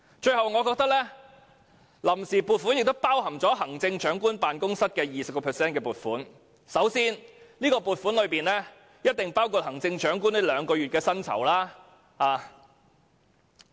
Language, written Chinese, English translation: Cantonese, 最後，臨時撥款亦包含行政長官辦公室的 20% 撥款，這筆撥款必然包含行政長官兩個月的薪酬。, Lastly the Vote on Account also includes 20 % of funding for the Chief Executives Office . This amount of funds on account will definitely include two months of emoluments for the Chief Executive